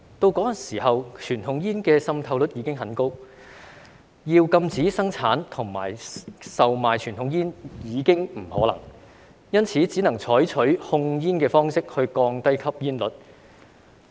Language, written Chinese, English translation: Cantonese, 不過，當時傳統煙的滲透率已經很高，要禁止生產和售賣傳統煙已經不可能，因此只能採取控煙的方式降低吸煙率。, But back then the penetration rate of conventional cigarettes was so high that it was impossible to ban their production and sale so the authorities could only control the use of tobacco in order to bring down smoking prevalence